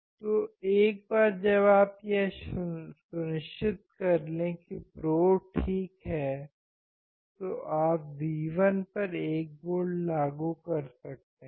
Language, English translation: Hindi, So, once you make sure that the probes are ok, then you can apply 1 volt to the V as V1